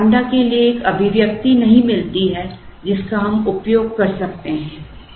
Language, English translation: Hindi, You do not get an expression for lambda which we can use